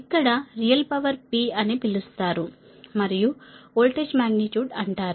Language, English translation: Telugu, right, here that real power is known, p is known and voltage magnitude is known